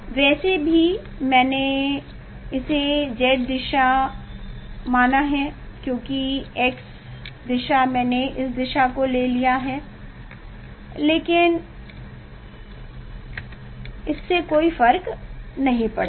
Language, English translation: Hindi, anyway, no I considered that z direction because x direction I have taken this direction, but it does not matter